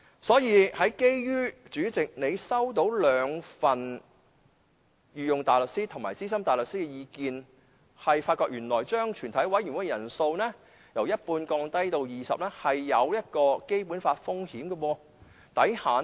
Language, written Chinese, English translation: Cantonese, 所以，主席，你收到兩份御用大律師和資深大律師的意見，原來將全體委員會的法定人數由一半降至20人，存在違反《基本法》的風險。, Therefore President you received two opinions from a Queens Counsel and a Senior Counsel which pointed out the risk of violating the Basic Law incurred in lowering the quorum of a committee of the whole Council from half of the Council to 20 Members